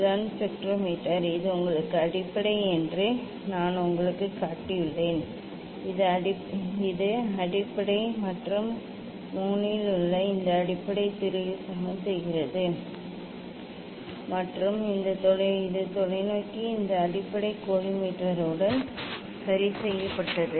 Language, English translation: Tamil, this is the spectrometer I have showed you this is the base basically; this is the base and this base on 3 is leveling screw and this telescope is fixed with this base collimator is fixed